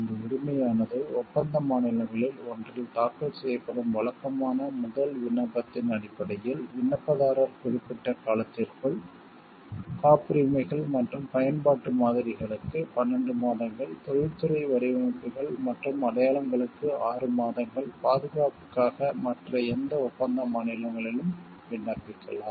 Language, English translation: Tamil, This right means that on the basis of a regular first application filed in one of the contracting states, the applicant me within a certain period of time 12 months for patents and utility models, 6 months for industrial design and marks apply for protection in any of the other contracting states